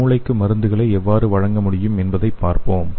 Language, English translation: Tamil, So let us see how we can deliver the drug to the brain